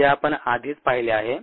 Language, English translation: Marathi, that we already seen